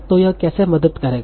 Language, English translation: Hindi, How will it help